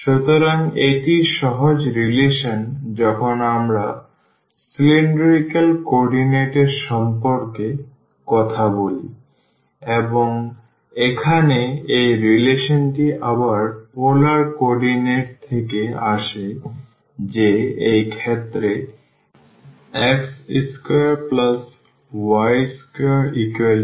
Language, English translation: Bengali, So, this is the simple relation when we talk about the cylindrical coordinate and here this relation again coming from the polar coordinate that this x square plus y square will be r square in this case